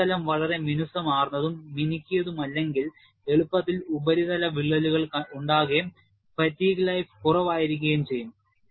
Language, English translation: Malayalam, If the surface is not very smooth and polished, you will have easy formation of surface cracks and fatigue life also would be less